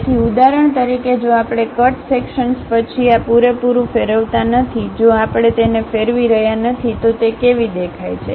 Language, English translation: Gujarati, So, for example, if we are not revolving this entire after cut section thing; if we are not revolving it, how it looks like